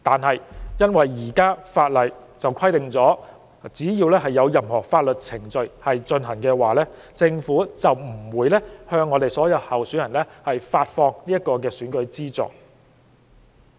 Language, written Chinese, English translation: Cantonese, 可是，受現行法例所限，只要任何相關法律程序尚在進行，政府就不能向所有候選人發放選舉資助。, However subject to the existing legislation the Government cannot disburse the financial assistance for election as long as there are any relevant legal proceedings in progress